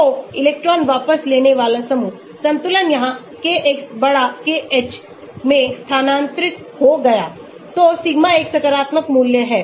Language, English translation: Hindi, So, electron withdrawing group, equilibrium shifted here Kx> KH, so sigma is a positive value